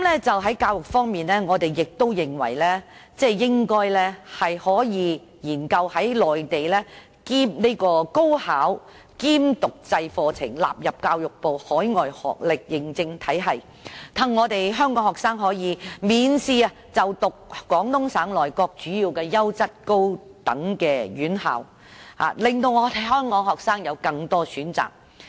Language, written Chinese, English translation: Cantonese, 在教育方面，我們認為應該研究將內地高考兼讀制課程納入教育部海外學歷認證體系，讓香港學生可以免試就讀廣東省內各主要優質高等院校，讓香港學生有更多選擇。, When it comes to education we think the authorities should study the inclusion of part - time programmes for the Mainlands National College Entrance Examination into the overseas education qualification recognition framework under the Ministry of Education as a means of enabling Hong Kong students to enrol in major higher education institutions of a good quality in Guangdong on a test - free basis and providing them with more options